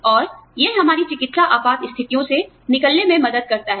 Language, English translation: Hindi, And, this helps us, tide over our medical emergencies